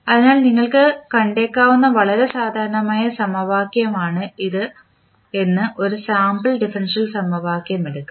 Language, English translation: Malayalam, So, now let us take one sample differential equation say this is very common equation which you might have seen